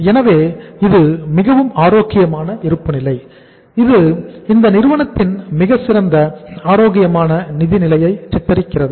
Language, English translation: Tamil, So it is a very very healthy balance sheet which depicts a very good very healthy financial position of this company